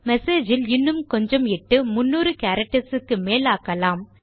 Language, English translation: Tamil, In message, Ill enter some text more than 300 characters long